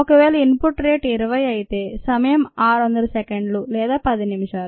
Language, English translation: Telugu, if the input rate is twenty, the time would be six hundred seconds or ten minutes